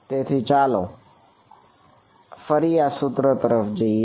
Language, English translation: Gujarati, So, let us go back to this equation